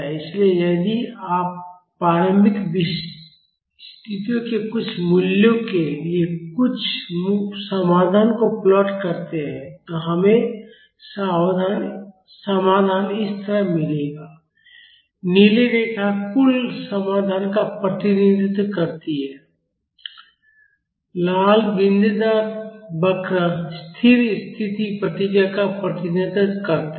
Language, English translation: Hindi, So, if you plot this total solution for some values of initial conditions, we will get the solution like this the blue line represents the total solution, the red dotted curve represents the steady state response